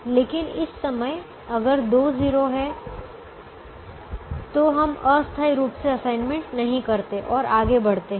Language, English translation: Hindi, but at the moment, if there are two zeros, we temporarily not make an assignment and proceed